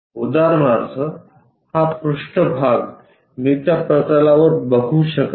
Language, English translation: Marathi, For example, this surface I can not visualize it on that plane